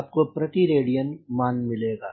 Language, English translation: Hindi, then we will get per radian